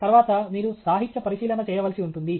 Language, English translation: Telugu, Then, you will do the literature survey